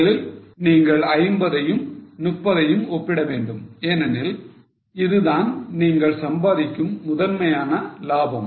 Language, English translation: Tamil, Firstly, you have to compare 50 and 30 because that is a primary profit you are earning